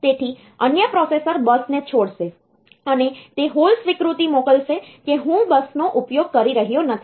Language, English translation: Gujarati, So, that the other processor will be releasing the bus, and it will send a hold acknowledgment telling that I am not using the bus